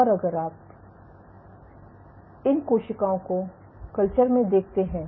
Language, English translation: Hindi, And if you look at these cells in culture